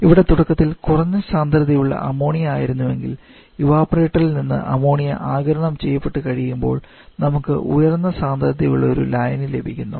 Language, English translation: Malayalam, So, initial solution that we had that is low in Ammonia concentration and after this Ammonia coming from the evaporator that gets absorbed we get another solution with which is having higher concentration